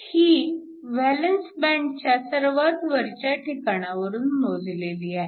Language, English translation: Marathi, This is with respect to the top of the valence band